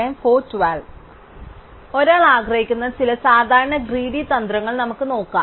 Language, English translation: Malayalam, So, let us look at some typical greedy strategies that one might want